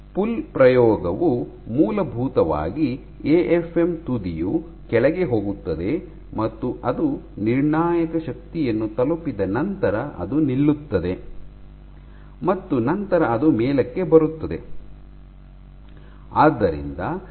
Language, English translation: Kannada, The pull experiment is essentially, the tip goes down and it stops once it reaches a critical force and then it comes up